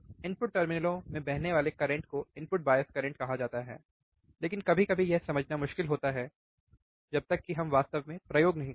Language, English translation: Hindi, Flowing into the input terminals is called the input bias current, but sometimes it is difficult to understand until we really perform the experiment